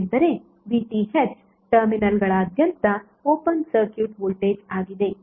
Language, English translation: Kannada, Because VTh is open circuit voltage across the terminals